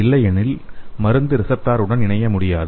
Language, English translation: Tamil, Otherwise, the drug cannot bind with the binding site of the receptor